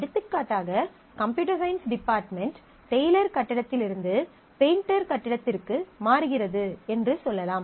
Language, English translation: Tamil, For example, let us say Computer Science department moves from Taylor building to Painter building